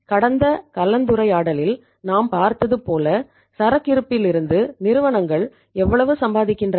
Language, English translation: Tamil, As we have seen in the previous discussion how much companies are earning on inventory